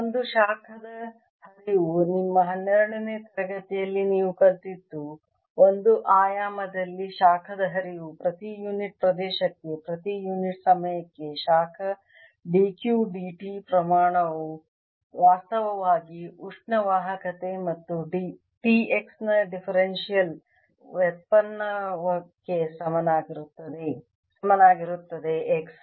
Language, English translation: Kannada, you have learnt in your twelfth rate that heat flow in one dimension, the amount of heat d, q, d, t, percent, unit time, per unit area is actually equal to the thermal conductivity and the differential derivative of t s respective x